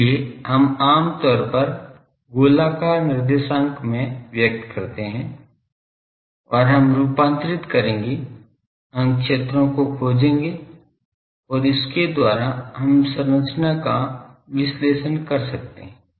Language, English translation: Hindi, So, that we generally express in spherical coordinates and we will convert that we will find the fields and we will by that we can analyze the structure